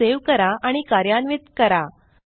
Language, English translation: Marathi, Now, save and run this file